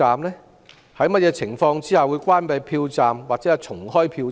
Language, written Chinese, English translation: Cantonese, 在甚麼情況下會關閉票站或重開票站？, Under what circumstances will a polling station be closed or re - opened?